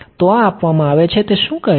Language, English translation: Gujarati, So, this is given what is it saying